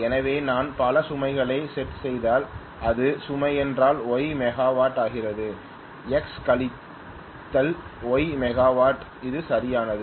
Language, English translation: Tamil, So if I shed many loads then if it becomes the load also becomes Y megawatt, it is perfect X minus Y megawatt it is perfectly fine